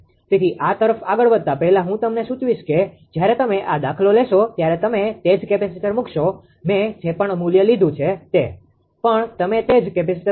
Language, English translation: Gujarati, So, before proceeding to this I will suggest you when you take this problem you put the same capacitor here, whatever value I have taken you put the capacitor